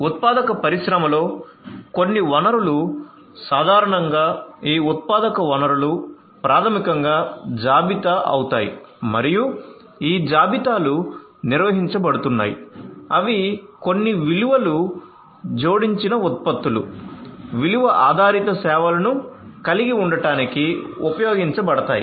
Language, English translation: Telugu, So, some resource typically in a manufacturing industry these manufacturing resources you know, so these are basically are going to be the inventories and these inventories are going to be managed they are going to be used to have some value added products, value added services